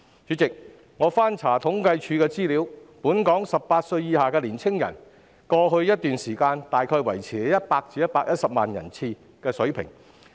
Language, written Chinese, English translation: Cantonese, 主席，我翻查政府統計處的資料得悉，本港18歲以下年青人的數目在過去一段時間維持在大約100萬至120萬人的水平。, President I have learnt from the information published by the Census and Statistics Department that the number of young people aged 18 or below in Hong Kong has remained within the range from around 1 million to 1.2 million for a period of time